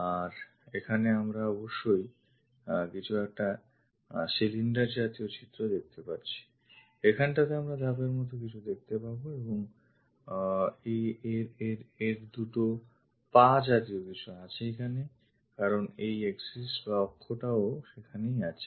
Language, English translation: Bengali, So, here we might be going to have some cylindrical hole, here we have to see something like a step and it has two legs kind of thing because this axis is also there